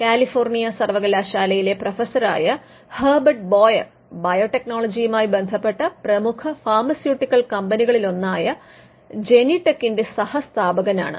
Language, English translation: Malayalam, Herbert Boyer a professor from University of California co founded the company Genentech, which is one of the leading pharmaceutical companies, which involved in biotechnology today